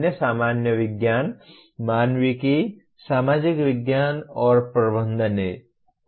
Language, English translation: Hindi, The other ones are basic sciences, humanities, social sciences, and management